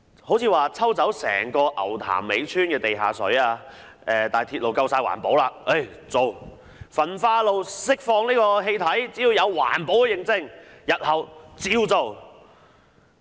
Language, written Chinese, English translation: Cantonese, 例如抽走整個牛潭尾村的地下水興建鐵路，但因為鐵路夠環保，就可以做；焚化爐釋放氣體，只要有環保認證，日後也可照做。, For instance it was acceptable to extract all underground water in Ngau Tam Mei village for railway construction as railway is environmental - friendly; it will be acceptable for incinerators to release gas as long as they have environmental certifications